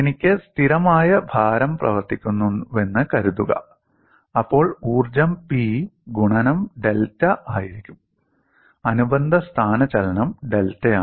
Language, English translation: Malayalam, Suppose I have a constant load acting, then the energy would be P into delta a corresponding displacement is delta